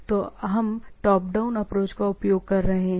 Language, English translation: Hindi, So, one is bottom up approach or is the top down approach